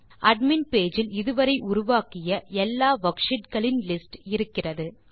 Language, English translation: Tamil, The admin page lists all the worksheets created